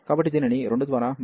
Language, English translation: Telugu, So, this is replaced by 2